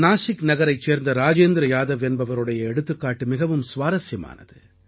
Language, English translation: Tamil, The example of Rajendra Yadav of Nasik is very interesting